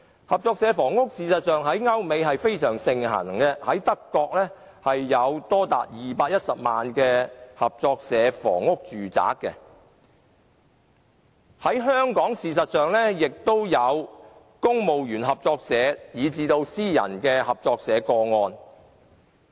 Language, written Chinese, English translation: Cantonese, 合作社房屋在歐美非常盛行，德國有多達210萬個合作社房屋住宅，而香港也有公務員合作社，亦有私人合作社的個案。, Cooperative housing is very popular in Europe and North America . In Germany alone there are as many as 2.1 million cooperative housing . In Hong Kong we have the Civil Servants Co - operative Building Societies CBSs and private cooperative societies